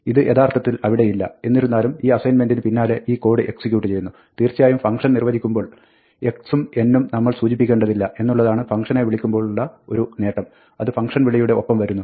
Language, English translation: Malayalam, It is not really there, but it is as though, this code is executed by preceding this assignment there and of course, the advantage of calling it as the function is that, we do not have to specify x and n in the function definition; it comes with the call